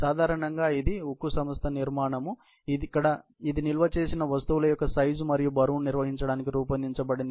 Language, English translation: Telugu, Usually, it is steel firm structure that is designed to handle the expected size and weight of the stored items